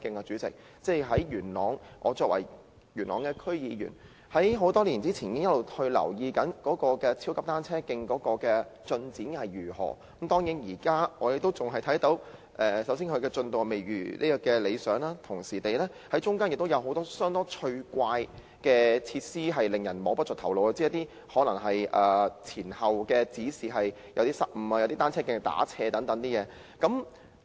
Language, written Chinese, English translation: Cantonese, 主席，我作為元朗區議員，多年前已開始留意超級單車徑的進展，當然，我們現時看到其進度未如理想，而且中間還有很多相當趣怪的設施，令人摸不着頭腦，例如是一些失誤的指示，有些單車徑是斜向的等。, President as a member of the Yuen Long District Council I started paying attention to the progress of that super cycle track years ago . Obviously we now see that the progress of the project is far from satisfactory . Yet many facilities along the track are rather interesting and baffling such as some wrong signs and some oblique sections and so on